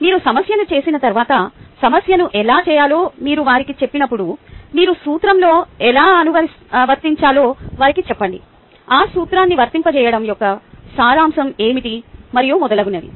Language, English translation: Telugu, ok, once you do the prob[lem], when you tell them how to do the problem, tell them how you are going to apply in the principle, how what is the essence of applying that principle, and so on and so forth